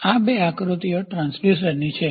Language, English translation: Gujarati, These two figures are transducers